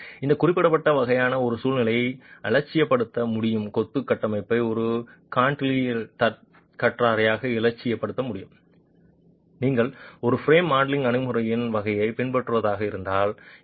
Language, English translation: Tamil, So, it is possible to idealize in this particular sort of a scenario, it is possible to idealize the masonry structure as a cantilevered beam as a cantilevered beam if you were to adopt a sort of a frame modeling approach